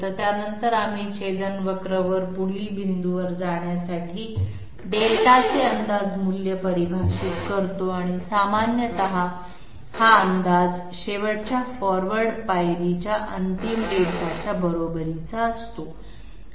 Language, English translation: Marathi, So after that we define a guess value of Delta to go to the next point on the intersection curve and generally this guess equals the final Delta of the last forward step